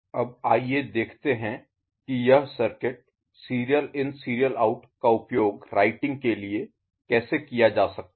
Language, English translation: Hindi, Now, let us look at how this particular circuit can be used for I mean, how such SISO thing can be used for writing ok